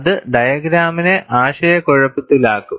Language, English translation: Malayalam, That will only confuse the diagram